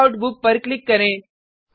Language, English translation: Hindi, Click on Checkout Book